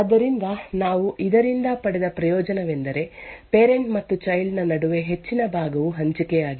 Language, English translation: Kannada, So, the advantage we obtained from this is that a large portion between the parent and the child is shared